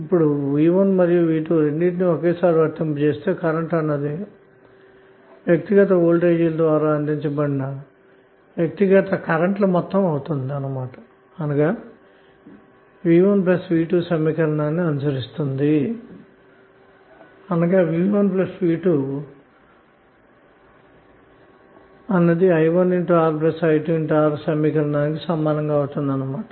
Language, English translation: Telugu, Now when you apply both V1 and V2 at the same time suppose if you are current should be sum of individual currents provided by individual voltages and it will follow this equation like V1 plus V2 would be equal to i1 R plus i2 R